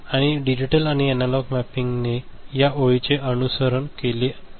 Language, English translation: Marathi, The digital and analog this you know mapping, it should follow this line